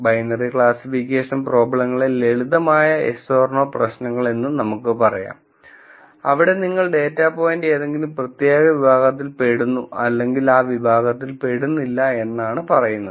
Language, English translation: Malayalam, We can also think of binary classification problems as simple yes or no problems where, you either say something belongs to particular category, or no it does not belong to that category